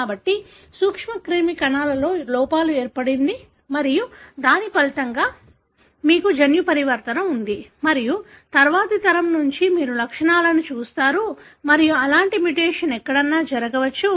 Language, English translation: Telugu, So, in germ cells there was a defect and as a result, you have a genetic mutation and from next generation onwards you see the symptoms and such kind of mutation can happen anywhere